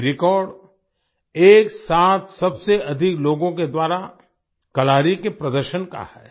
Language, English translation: Hindi, This record is for the performance of Kalari by the maximum number of people simultaneously